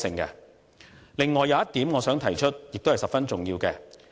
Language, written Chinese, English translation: Cantonese, 此外，我想提出一點，這亦是十分重要的。, Besides I want to bring up one point which is also very important